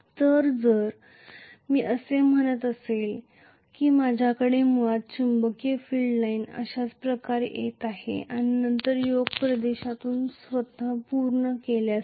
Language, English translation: Marathi, So, if I am saying that I am having basically the magnetic field line you know going like this and then completing itself through the Yoke Region